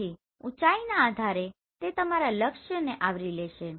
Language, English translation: Gujarati, So depending upon the height it will cover your target